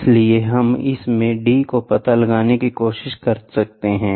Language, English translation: Hindi, So now, you can try to find out the d, what is d